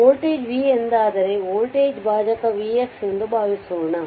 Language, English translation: Kannada, Suppose if this voltage is v right then voltage division this is v x